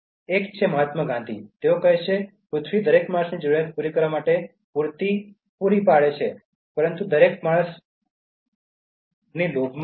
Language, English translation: Gujarati, One is from Mahatma Gandhi, he says: “Earth provides enough to satisfy every man’s needs, but not every man’s greed